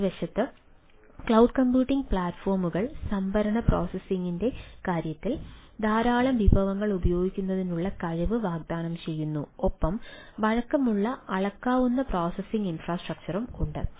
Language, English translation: Malayalam, on the other hand, cloud computing platforms offer potential to use large amount of resources, both in terms of storage, processing, and have a flexible, scalable processing infrastructure